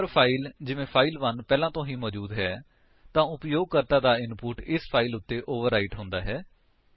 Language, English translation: Punjabi, If a file by name say file1 already exists then the user input will be overwritten on this file